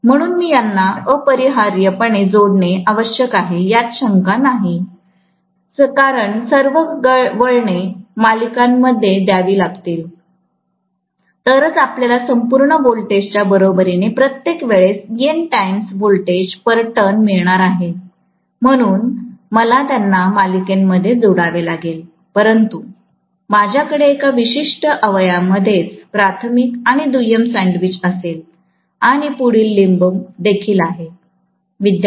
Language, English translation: Marathi, So, I have to necessarily connect them, no doubt, because all the turns have to come in series, only then I am going to get N times voltage per turn equal to the overall voltage, so I have to connect them in series but I will have essentially primary and secondary sandwiched in one particular limb itself and the next limb also, yes